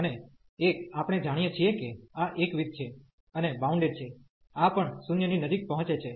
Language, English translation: Gujarati, And one we know that this is monotone, and this is bounded also approaching to 0